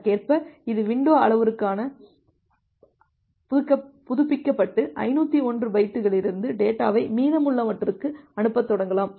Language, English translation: Tamil, And it can update it is window parameter accordingly and start sending the data from 501 bytes to the remaining